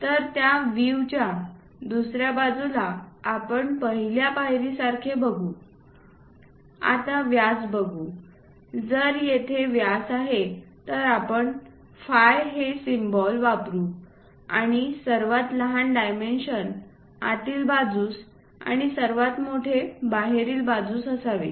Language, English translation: Marathi, So, that on the other side of the view we look at like a step one, try to look at diameters if it is diameter we use symbol phi, and smallest one inside and the largest one outside that is the way we try to look at